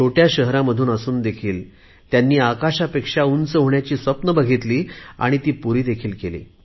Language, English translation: Marathi, Despite hailing from small cities and towns, they nurtured dreams as high as the sky, and they also made them come true